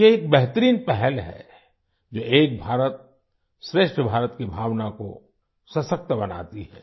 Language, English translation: Hindi, This is a wonderful initiative which empowers the spirit of 'Ek BharatShreshtha Bharat'